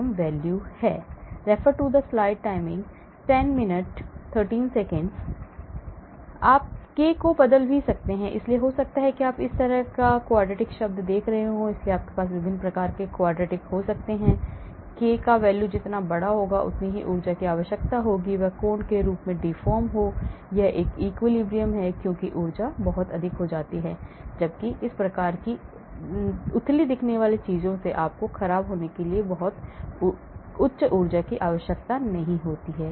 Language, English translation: Hindi, You could also change the k, so you may have shallow looking quadratic term like this or like this , so you can have different types of quadratic, larger the value of k, the more energy is required to deform an angle form it is equilibrium , because the energy becomes very high, whereas this type of shallow looking things you do not need very high energy to deform from it is theta not